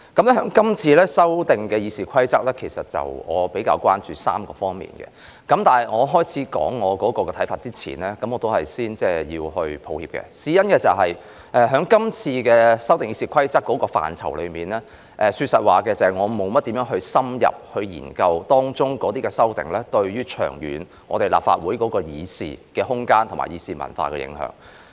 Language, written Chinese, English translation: Cantonese, 對於這次修訂《議事規則》，我比較關注3方面，但在我說出我的看法前，我要說一聲抱歉，事關就這次修訂《議事規則》的範疇，說實話，我沒有深入研究當中的修訂對立法會的議事空間和議事文化的長遠影響。, In regard to this amendment exercise of RoP I am rather concerned about three aspects . But before I spell out my views I have to make an apology because concerning the area covered by this amendment exercise of RoP frankly speaking I have not studied in - depth the long - term impact of the amendments on the room for deliberation and deliberative culture in the Legislative Council